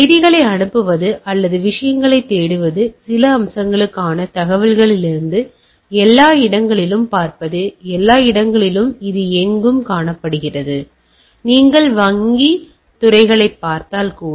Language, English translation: Tamil, Even sending messages or looking for things, looking from information for some aspects and everywhere what we see this is a omnipresent; like, if you even look at the banking sectors